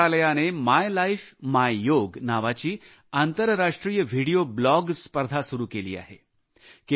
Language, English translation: Marathi, The Ministry of AYUSH has started its International Video Blog competition entitled 'My Life, My Yoga'